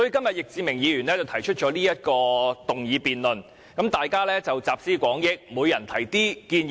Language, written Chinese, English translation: Cantonese, 易志明議員這次提出議案辯論，讓大家集思廣益，提出一些建議。, This time around Mr Frankie YICK proposes a motion debate for Members to put their heads together and raise some suggestions